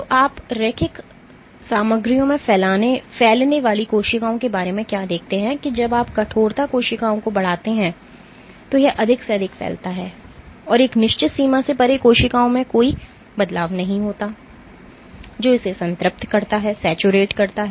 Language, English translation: Hindi, So, what you see of cells spreading in linear materials is that when you increase the stiffness cells spread more and more and beyond a certain threshold there is no change in cells spreading it saturates